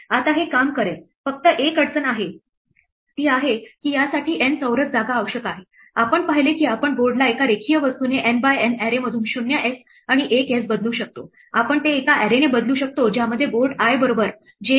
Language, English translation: Marathi, Now this would work the only difficulty is that it requires N square space, we saw that we could replace the board by a linear thing from a N by N array with 0s and ones, we could replace it by a single array which had board i equal to be j